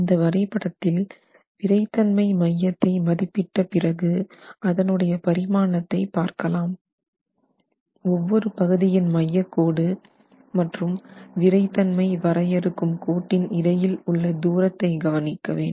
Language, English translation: Tamil, So, in the drawing again, the center of stiffness when established, we are interested in looking at the dimensions, the distances of the centroid of each of the resisting elements with respect to the line defining the lines defining the center of stiffness